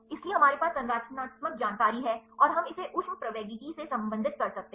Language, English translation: Hindi, So, we have the structural information and, we can related it with the thermodynamics